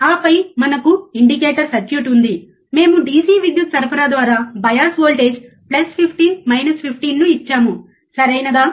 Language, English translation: Telugu, And then we have the indicator circuit, we have given the bias voltage plus 15 minus 15 through the DC power supply, right